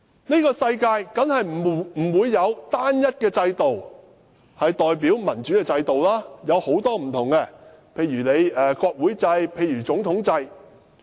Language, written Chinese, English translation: Cantonese, 這個世界當然不會只有單一一個代表民主的制度，而是有很多不同的制度，例如國會制、總統制。, There is more than one democratic system in the world . There are many different democratic systems such as parliamentary system and presidential system